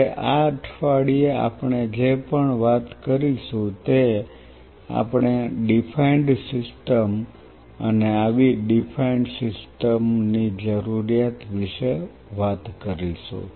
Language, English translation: Gujarati, Now, this week onward whatever we will be talking about we will be talking about a defined system and the need for such defined system